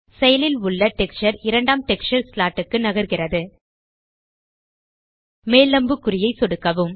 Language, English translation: Tamil, The active texture moves to the second texture slot Left click the up arrow